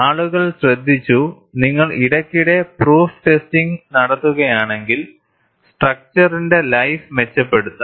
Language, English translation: Malayalam, And people have noticed, if you do proof testing occasionally, the life of the structure is improved